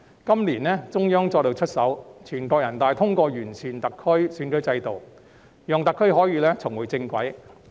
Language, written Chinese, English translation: Cantonese, 今年，中央再度出手，全國人大通過完善特區選舉制度，讓特區可以重回正軌。, This year the Central Authorities took action again as NPC passed the decision on improving SARs electoral system to bring SAR back on track